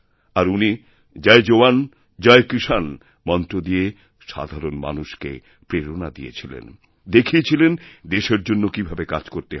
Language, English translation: Bengali, He gave the mantra"Jai Jawan, Jai Kisan" which inspired the common people of the country to work for the nation